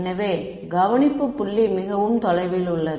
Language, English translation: Tamil, So, it is the limit that the observation point is very far away